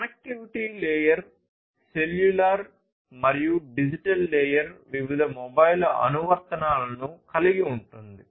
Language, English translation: Telugu, The connectivity layer is cellular and the digital layer consists of different mobile applications